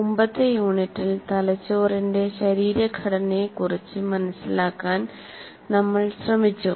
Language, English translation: Malayalam, In the earlier unit, we tried to understand a little bit of the anatomy of the brain